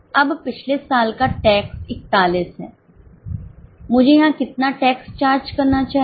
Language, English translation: Hindi, Now last year's tax is 41